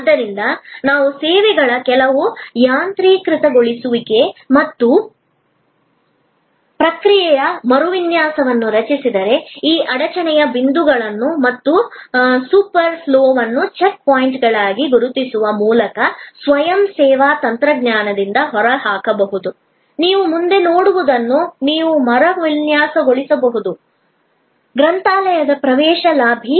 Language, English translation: Kannada, So, if we create some automation of services and process redesign, by identifying these bottleneck points and super flow as check points which can be eliminated by self service technology, you could redesign what you see in front of you, the entry lobby of the library